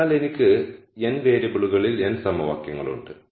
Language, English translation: Malayalam, So, I have n equations in n variables